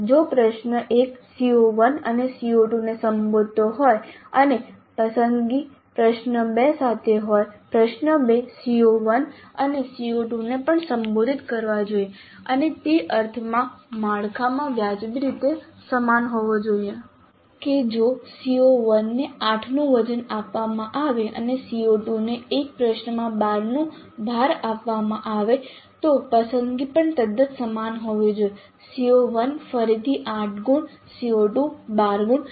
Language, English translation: Gujarati, So if the question 1 is addressing CO1 and CO2 and the choice is with question 2, question 2 also must address CO1 and CO2 and they must be reasonably similar in the structure in the sense that if CO1 is given a weight of 8 and CO2 is given a weight of 12 in one question the choice also must be quite similar